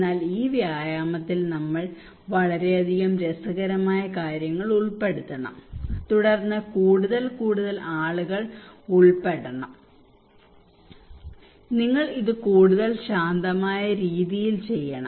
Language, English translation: Malayalam, But we should involve a lot of fun into this exercise, then more and more people should be involved, you should do it more relaxed way